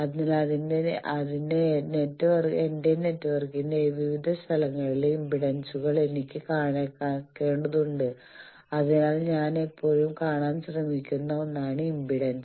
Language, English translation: Malayalam, So, I need to calculate impedances at various places of my network, so impedance is the one which I always try to see